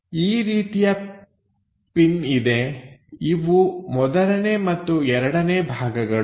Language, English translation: Kannada, So, such kind of pin is there; the first and second part